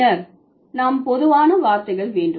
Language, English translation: Tamil, Then we have generified words